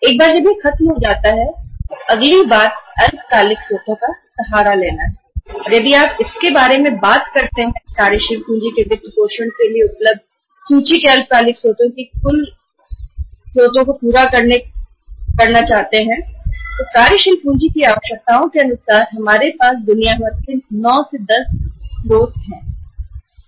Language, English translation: Hindi, Once that is over, then the next thing is to resort to the short term sources and if you talk about the total list of the short term sources available for funding the working capital say fulfilling the working capital requirements we have about say 9, 10 sources around the globe